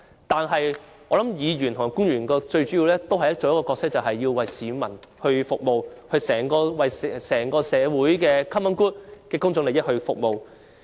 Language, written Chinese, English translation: Cantonese, 但是，無論是議員或官員，最主要的角色也是為市民服務，為整個社會的 common good 服務。, Nonetheless Members and public officers alike our main role is to serve the people and the common good of society at large